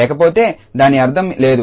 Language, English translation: Telugu, Otherwise it has no meaning